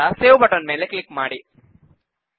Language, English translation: Kannada, And then click on the Save button